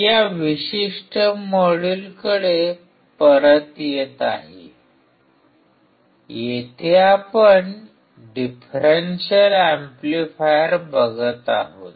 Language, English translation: Marathi, Coming back to this particular module, here we will be looking at the differential amplifier